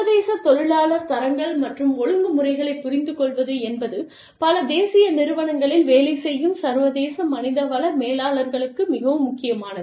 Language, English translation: Tamil, Understanding international labor standards and regulations, is very important for, international human resource managers, especially in, multi national enterprises